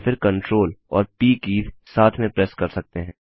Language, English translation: Hindi, Alternately, we can press CTRL and P keys together